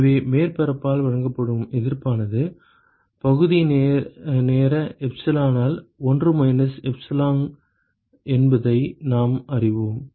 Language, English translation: Tamil, So, we know that the resistance offered by the surface, is 1 minus epsilon by the area time epsilon